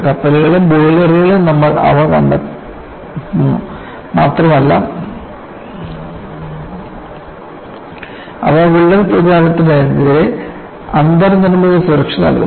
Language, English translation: Malayalam, You also find them in ships as well as boilers, and they provide in built safety against crack propagation